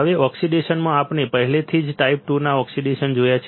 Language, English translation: Gujarati, Now, in oxidation, we have already seen 2 types of oxidation